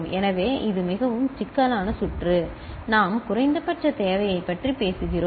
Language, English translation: Tamil, So, that is a more complex circuit we are talking about the minimal requirement